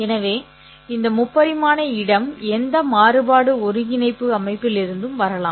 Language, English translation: Tamil, So, this three dimensional space can come from in any various coordinate systems